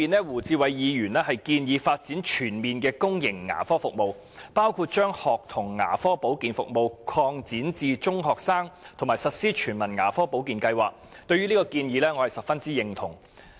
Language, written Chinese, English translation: Cantonese, 胡志偉議員在原議案中建議發展全面的公營牙科服務，包括把學童牙科保健服務擴展至中學生，以及實施全民牙科保健計劃，我十分認同這些建議。, Mr WU Chi - wai proposes in the original motion to develop comprehensive public dental services including extending the School Dental Service to secondary school students and implementing a universal dental care service scheme and these suggestions are very agreeable to me